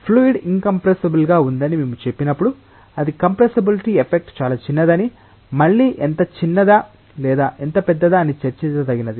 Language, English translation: Telugu, But when we say that a fluid is incompressible we mean that it s compressibility effect is very very small, again how small or how large that is something which may be debated